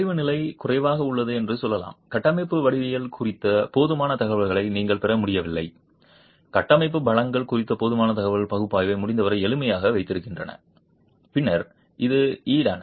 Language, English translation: Tamil, You are not able to get adequate information on the structural geometry, adequate information on the structural strengths, keep the analysis as simple as possible